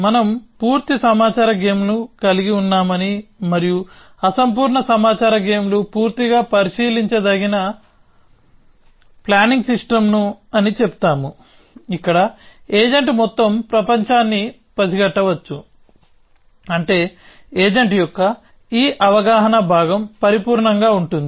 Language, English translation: Telugu, We said we have complete information games and incomplete information games fully observable planning system is one where, the agent can sense the entire world, which means this perception part of the agent is perfect